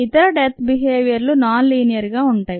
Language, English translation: Telugu, there are other death behaviors that are non linear